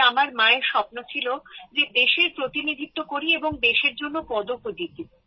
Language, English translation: Bengali, Hence my mother had a big dream…wanted me to represent the country and then win a medal for the country